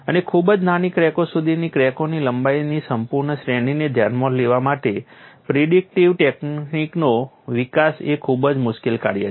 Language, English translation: Gujarati, And development of predictive techniques to address the full range of crack lengths down to very small cracks is a very difficult task